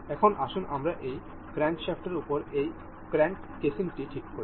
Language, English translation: Bengali, Now, let us fix this crank this fin casing over this crankshaft, sorry the crank casing